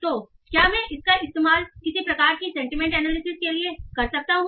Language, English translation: Hindi, So can I use that to do some sort of sentiment analysis